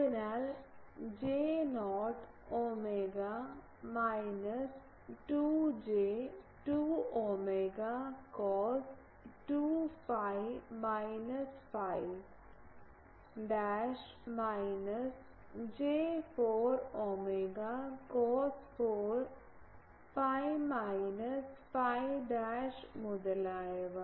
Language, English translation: Malayalam, So, J not omega minus 2 J2 omega cos 2 phi minus phi dash minus J4 omega cos 4 phi minus phi dashed etc